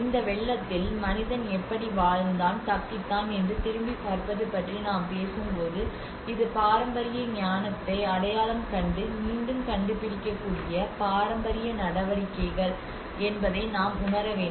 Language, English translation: Tamil, And when we talk about the looking back about how man has lived and have survived these floods this is where the traditional measures we can even identifying from the rediscovering the traditional wisdom